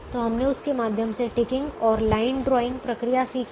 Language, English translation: Hindi, so we do the ticking and line drawing procedure